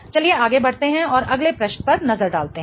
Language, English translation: Hindi, Let's go to the next question